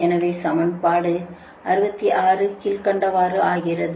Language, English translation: Tamil, this is equation sixty six